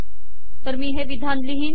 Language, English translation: Marathi, So I have this statement here